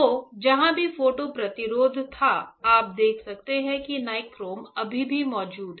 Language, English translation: Hindi, So, wherever the photo resist was there, you can see that nichrome is still present is not it